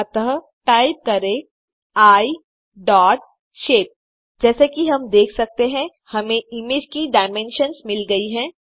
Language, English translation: Hindi, So type I dot shape As we can see,we got the dimensions of the image